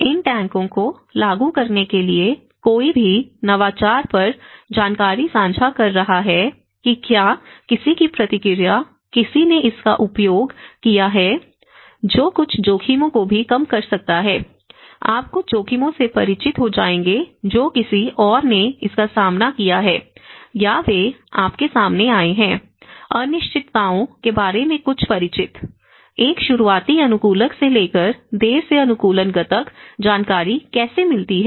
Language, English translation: Hindi, In order to implement these tanks, one is sharing information on innovation whether someone's feedback, someone who have used it that can also reduce some risks, you will become familiar with certain risks which someone else have faced it or they have encountered also you will get some familiarity about the uncertainties, from an early adopter to the late adopters now, how information flows